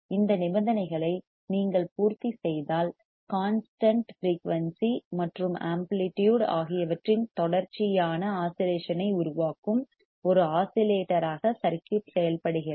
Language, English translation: Tamil, If you satisfy these conditions the circuit works as an oscillator producing sustained oscillation of constant frequency and amplitude